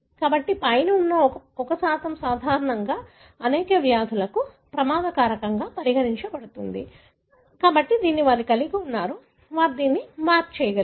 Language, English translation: Telugu, So, 1% above is normally considered as risk factor for many of the diseases; so, that they have, they were able to map it